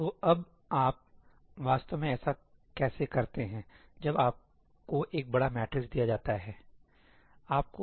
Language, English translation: Hindi, So, now, how do you actually do this when you are given a large matrix